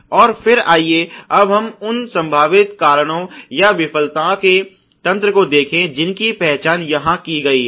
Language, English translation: Hindi, And then let us now look at the potential causes or the mechanisms of the failure which has been identified here